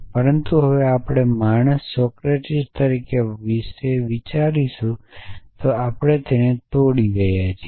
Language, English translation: Gujarati, But now, we would talk about it as man Socrates that we are breaking it down